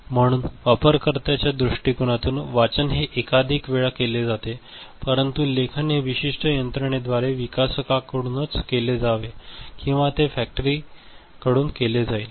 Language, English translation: Marathi, So, from the user point of view reading will be done multiple times, but writing is to be done by the developer, by certain mechanism or it will be, writing will be done in the factory end